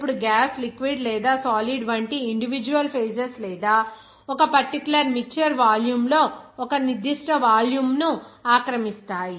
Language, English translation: Telugu, Now, individual phases like gas, liquid, or solid will have certain or will occupy a certain volume in a particular mixture volume